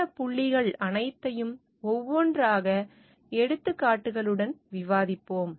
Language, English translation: Tamil, We will discuss all these points one by one along with examples